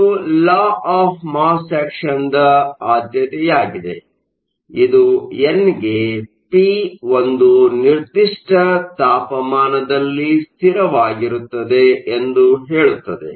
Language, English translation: Kannada, So, the preferential part comes from the law of mass action it says n into p is a constant at a given temperature